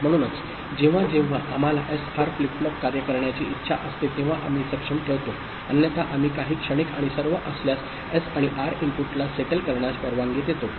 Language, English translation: Marathi, So, whenever we want the SR flip flop to work we put the enable, otherwise we allow the S and R input to settle if there is any transient and all